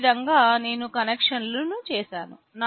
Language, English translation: Telugu, This is how I have made the connections